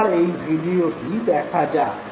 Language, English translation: Bengali, Look at this very video